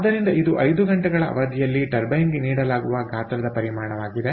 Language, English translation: Kannada, so this is the amount, the volume which is fed to the turbine over a period of five hours